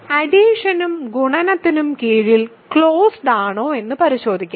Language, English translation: Malayalam, So, let us check closure under addition and multiplication